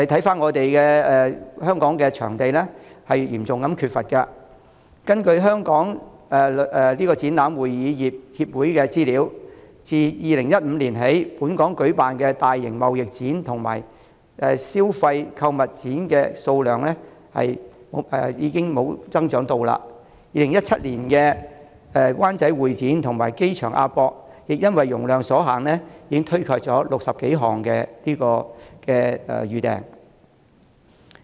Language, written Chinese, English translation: Cantonese, 反觀香港嚴重缺乏會展場地，根據香港展覽會議業協會的資料，自2015年起，在本港舉辦的大型貿易展和消費購物展數目缺乏增長，在2017年，位於灣仔的香港會議展覽中心和機場的亞洲國際博覽館亦因為容量所限而推卻近60多項預訂。, According to information of the Hong Kong Exhibition and Convention Industry Association the number of large - scale trade exhibitions and consumer fairs have plateaued in Hong Kong since 2015 . In 2017 the Hong Kong Convention and Exhibition Centre in Wan Chai and AsiaWorld - Expo at the airport turned down 60 - odd reservations due to capacity constraints